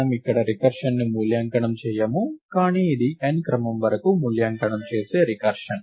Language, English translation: Telugu, We do not evaluate the recurrence here, but this is a recurrence which evaluates to order of n